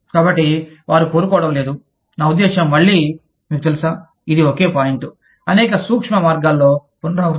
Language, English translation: Telugu, So, they do not want to, i mean, again, you know, this is just same point, repeated in several subtle ways